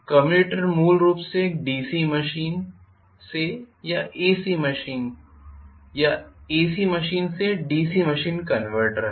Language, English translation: Hindi, The commutator is essentially a DC to AC or AC to DC convertor